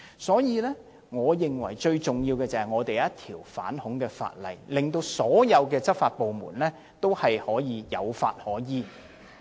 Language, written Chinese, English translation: Cantonese, 所以，最重要的是，我們必須訂立一項反恐法例，讓所有執法部門能夠有法可依。, Thus the most important thing is that we must enact a piece of anti - terrorist legislation so that all law enforcement agencies will have a legal basis for enforcing the laws